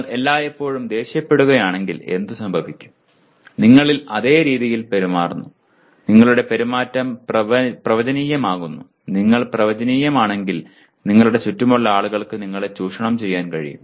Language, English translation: Malayalam, What happens if you all the time, every time you become angry you behave in the same way you become predictable and people can, people around you can exploit you if you are predictable